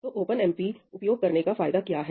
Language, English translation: Hindi, So, what are the advantages of using OpenMP